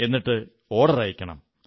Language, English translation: Malayalam, And then the orders can be placed